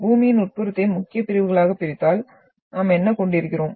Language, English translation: Tamil, So if we divide the interior of Earth in the main sections, so what we are having